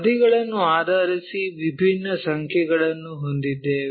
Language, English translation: Kannada, Based on how many sides we have we have different numbers